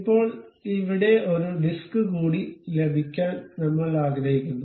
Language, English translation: Malayalam, Now, we would like to have one more disc here